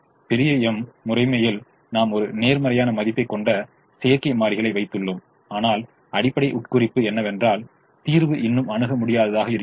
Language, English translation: Tamil, in the big m method we put the artificial variables that took a positive value, but the basic imp[lication] implication was that the solution was still infeasible